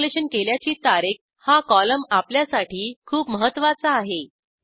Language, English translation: Marathi, The Installed on column is very important to us